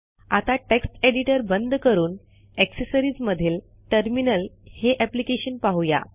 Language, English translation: Marathi, Lets close this text editor and lets see some application from accessories that is Terminal